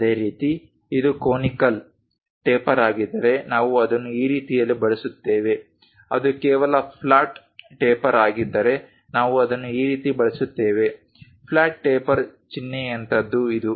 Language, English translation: Kannada, Similarly, other things like if it is conical taper, we use it in that way if it is just a flat taper we use it in this way, something like flat taper symbol is this